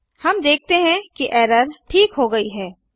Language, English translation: Hindi, Save the file we see that the error is resolved